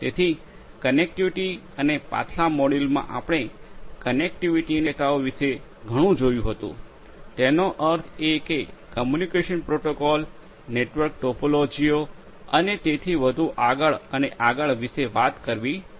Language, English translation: Gujarati, So, connectivity and in the previous module we have seen a lot about the different possibilities of connectivity; that means, talking about communication protocols network topologies and so on and so forth